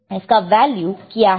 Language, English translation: Hindi, So, what is the value of this one